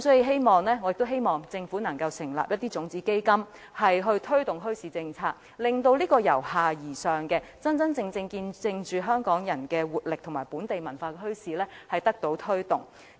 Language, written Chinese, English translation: Cantonese, 所以，我希望政府能成立種子基金推動墟市政策，真正以由下而上的方式推動見證着香港人活力和本地文化的墟市。, Therefore I hope that the Government can establish a seed fund to promote the implementation of a bazaar policy and genuinely adopt a bottom - up approach to promoting bazaars which showcase Hong Kong peoples vitality and our local culture